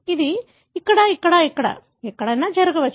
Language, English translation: Telugu, It can happen here, here, here, here, anywhere